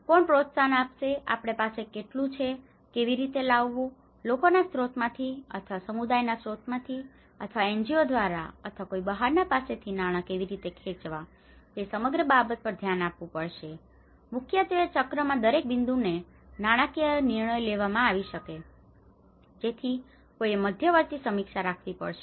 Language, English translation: Gujarati, Who is going to promote, how much we have, how to bring, how to pull out funding from the crowdsourcing or the community sources or an NGOs or an external so this whole thing has to be looked at and mainly the financial decisions may be taken at different points in the cycle, so one has to keep reviewing intermediately